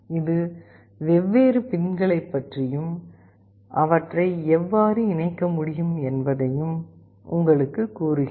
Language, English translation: Tamil, This tells you about the different pins and exactly how you can connect them